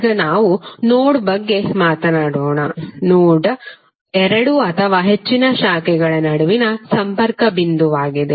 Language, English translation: Kannada, Now let us talk about node, node is the point of connection between two or more branches